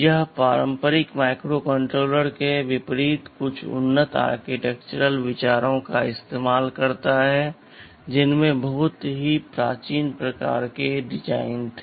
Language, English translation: Hindi, It borrows some advanced architectural ideas in contrast to conventional or contemporary microcontrollers that had very primitive kind of designs